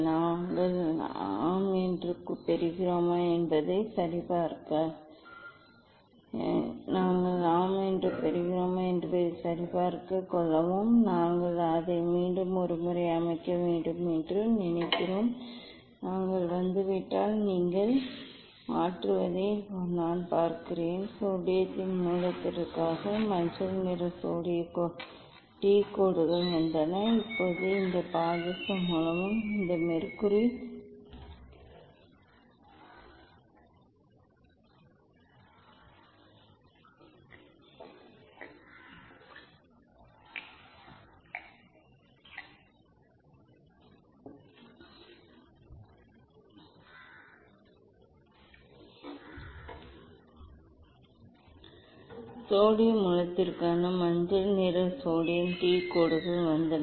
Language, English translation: Tamil, We will set and let me check whether we are getting yes, I think we have to set it once more, nicely if it has come you can see just I have replace the; I have replace the source earlier just yellow colour sodium D lines came for sodium source